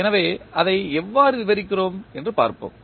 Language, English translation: Tamil, So, let us see how we describe it